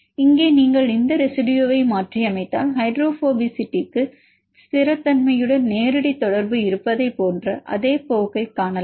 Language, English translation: Tamil, Here if you mutate this residue can we see the same trend that hydrophobicity has direct correlation with stability, let us see